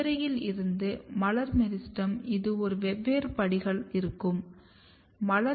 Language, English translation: Tamil, You have inflorescence to floral meristem these are the different steps